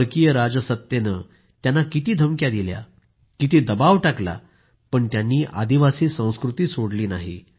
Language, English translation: Marathi, The foreign rule subjected him to countless threats and applied immense pressure, but he did not relinquish the tribal culture